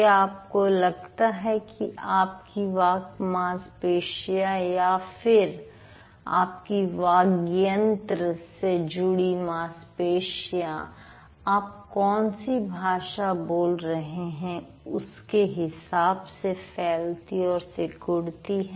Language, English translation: Hindi, Do you think your speech, your speech muscles or your voice organs, the muscles associated with it, they do get contracted and expanded depending on the kind of language that you speak